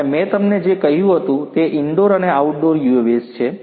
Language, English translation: Gujarati, And also I what I told you is indoor and outdoor UAVs